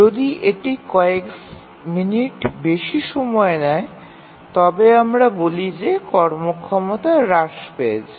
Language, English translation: Bengali, If it takes minutes, several minutes and so on then we say that the performance has degraded